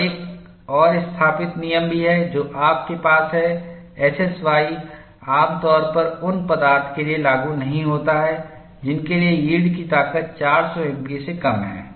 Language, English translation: Hindi, And there is also another thumb rule that you have SSY is generally not applicable for materials, for which the yield strength is less than 400 mpa